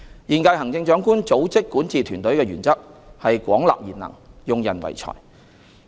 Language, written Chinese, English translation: Cantonese, 現屆行政長官組織管治團隊的原則是廣納賢能、用人唯才。, In forming her governing team the incumbent Chief Executives principle is to attract talents widely and on merit